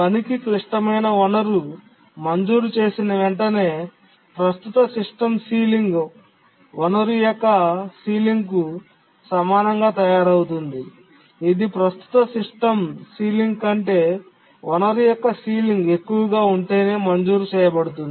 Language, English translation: Telugu, And as I was saying that as soon as a task is granted the critical resource, the current system sealing is made equal to the sealing of the resource that is granted if the sealing of the resource is greater than the current system ceiling